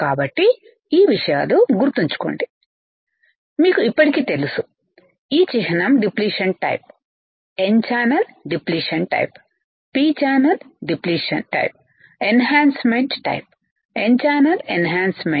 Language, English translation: Telugu, You already know this symbol is for the depletion type, n channel depletion type, p channel depletion type enhancement type, n channel enhancement and depletion type